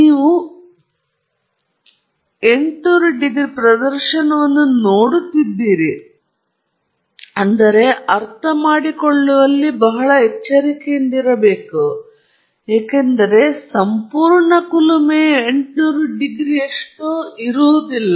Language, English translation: Kannada, You are seeing a display of 800 degrees C, but you should be very cautious in understanding what it means, because the entire furnace is not at 800 degrees C